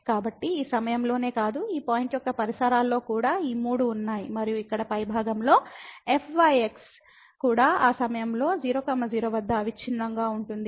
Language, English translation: Telugu, So, not only at this point, but also in the neighborhood of this point all these 3 exist and this on the top here is also continuous at that point 0 0